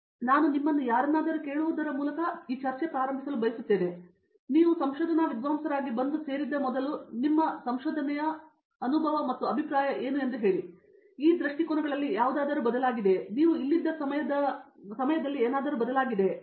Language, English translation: Kannada, So, I would like to start by asking any of you to, tell me what was your view of research before you came and joined as a research scholar here and if over the time that you have been here if any of these views have changed and if so how they have changed